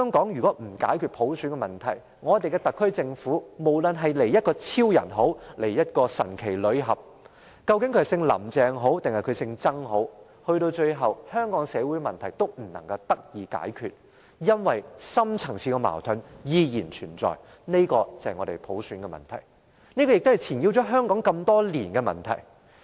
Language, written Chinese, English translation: Cantonese, 若不解決普選問題，我們的特區政府，不論是由超人或神奇女俠，究竟由姓林鄭的人還是姓曾的人來領導，到了最後，香港的社會問題都不能得到解決，因為深層次的矛盾依然存在，這就是普選的問題，亦是纏繞香港多年的問題。, Ultimately no matter who would become the leader of Hong Kong the Superman or Wonder Woman a lady surnamed LAM and CHENG or a gentleman surnamed TSANG all our social problems will continue to exist because our deep - rooted conflicts have never been settled . These conflicts actually lie in the problem concerning universal suffrage a problem which has been perplexing Hong Kong for so many years